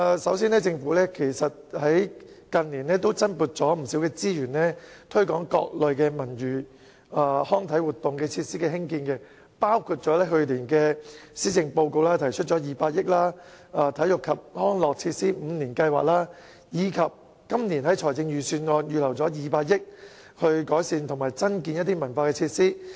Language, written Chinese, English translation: Cantonese, 首先，近年政府增撥不少資源推廣各類文娛康體活動設施的興建，包括去年施政報告提出的200億元"體育及康樂設施五年計劃"，以及今年財政預算案預留200億元改善及增建文化設施。, First of all in recent years the Government has been allocating additional resources to promote construction of facilities for various cultural sports and recreational activities including the Five - Year Plan for Sports and Recreation Facilities worth 20 billion proposed in the Policy Address of last year and the proposal in this years Budget to set aside 20 billion for the improvement and construction of cultural facilities